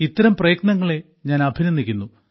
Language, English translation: Malayalam, I also appreciate all such individual efforts